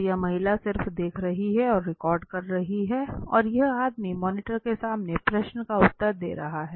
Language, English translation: Hindi, So this lady is just observing and recording and this man is responding to the question in front in the monitor